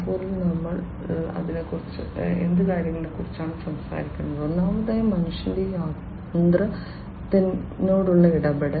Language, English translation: Malayalam, 0 we are talking about few things, first of all human machine interaction